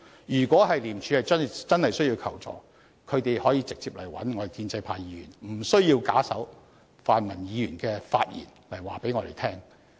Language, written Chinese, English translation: Cantonese, 如果廉署真的需要求助，他們可以直接與建制派議員聯絡，不需要假手泛民議員的發言轉告我們。, If it really needs help it can contact pro - establishment Members straight ahead and need not convey to us their message via the speeches delivered by pan - democratic Members